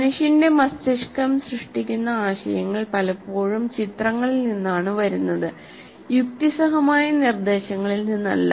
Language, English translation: Malayalam, Ideas generated by human brain often come from images, not from logical propositions